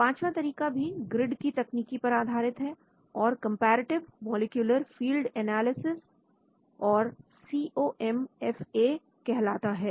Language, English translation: Hindi, The fifth approach is also a grid based technique and is called the comparative molecular field analysis, COMFA